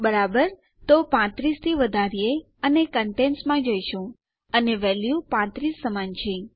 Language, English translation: Gujarati, Right, so lets increment to 35 and were going to contents and this value equals 35